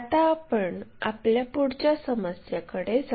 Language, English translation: Marathi, So, let us move on to our next problem